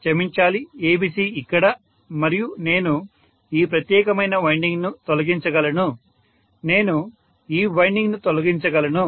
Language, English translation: Telugu, And I can sorry ABC here and I can eliminate this particular winding, so I can eliminate this winding